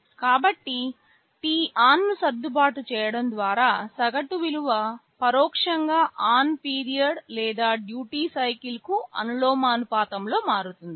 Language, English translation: Telugu, So, by adjusting t on the average value will be becoming proportional to the on period or the duty cycle indirectly